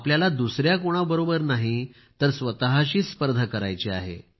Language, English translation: Marathi, You have to compete with yourself, not with anyone else